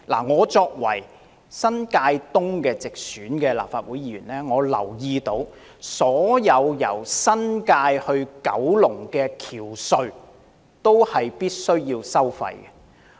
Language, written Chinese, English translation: Cantonese, 我是新界東的直選立法會議員，我留意到所有連接新界及九龍的橋隧均須收費。, As a directly elected Legislative Council Member from the New Territories East constituency I noticed that all the bridges and tunnels connecting the New Territories with Kowloon are tolled